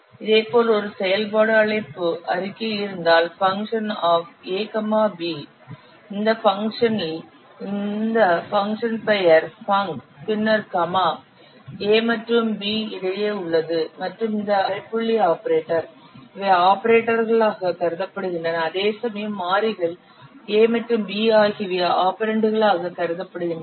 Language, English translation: Tamil, Similarly, if there is a function call statement, function A, B, then in this function, this function name funk, then this comma in present in between A and B and this semicolon operator these are considered the operators whereas variables A and B they are treated as the operands